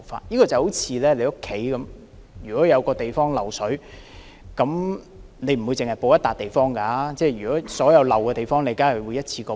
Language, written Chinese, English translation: Cantonese, 這好像你家有一處地方漏水，你不會只修補那個地方，而會同時將所有漏水的地方也修補。, Suppose there is water leakage in your flat you will not only fix the spot that leaks water but also all other spots that may have leakage problem at the same time